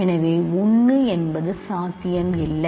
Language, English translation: Tamil, So, 1 is also not a possibility